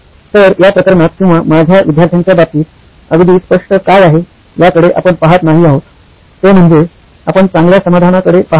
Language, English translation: Marathi, So in this we are not looking at what is absolutely clear even in this case or in my student’s case, is that we are not looking at an optimal solution